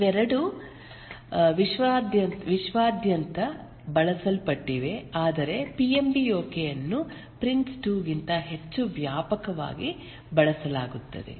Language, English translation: Kannada, Both are very popular used worldwide but PMBOK is used more extensively than Prince 2